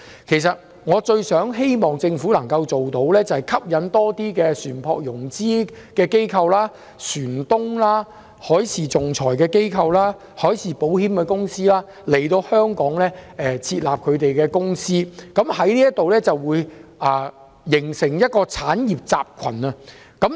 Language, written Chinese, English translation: Cantonese, 其實，我最希望政府能夠吸引更多船舶融資機構、船東、海事仲裁機構、海事保險公司來港設立公司，以便形成一個產業集群。, It is my hope that the Government will attract more vessel financing agents ship owners maritime arbitrators and marine insurance companies to set up companies in Hong Kong thereby forming an industrial cluster